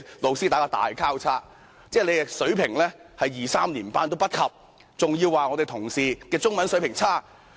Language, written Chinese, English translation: Cantonese, 何議員的中文水平連小學二三年級都不如，還要說同事的中文水平差劣。, The Chinese language proficiency of Dr HO is no better than Primary Three or even Primary Two students but he has mocked at other Members for their poor proficiency in Chinese language